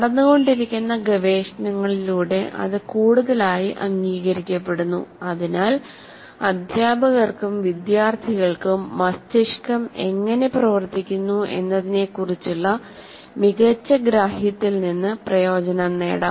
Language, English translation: Malayalam, Now it is increasingly getting accepted through the research that is going on that teachers and therefore students also can benefit from better understanding how the brain works